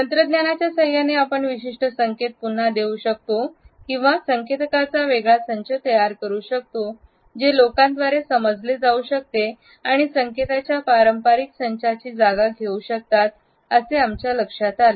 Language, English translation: Marathi, At the same time, we find that with a help of technology, we can re introduce certain cues or generate a different set of cues, which can be understood by people and can replace the conventional set of cues